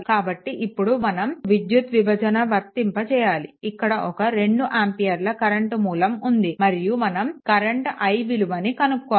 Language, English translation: Telugu, So, if you go for current division these two ampere current, this is my 2 ampere current right, then what is the what is this i